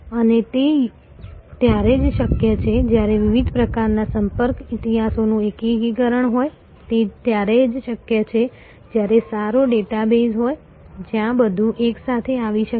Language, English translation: Gujarati, And that is only possible when there is an integration of the different types of contact history, which is only possible when there is a good database, where everything can come together